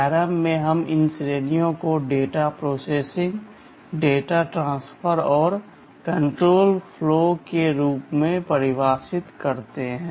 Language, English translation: Hindi, In ARM let us define these categories as data processing, data transfer and control flow